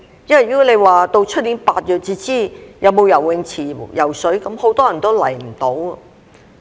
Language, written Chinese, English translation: Cantonese, 因為如果到了明年8月才知道是否有游泳池游泳，很多人都來不到。, Because if the availability of swimming pool can only be confirmed in August next year many people will not be able to come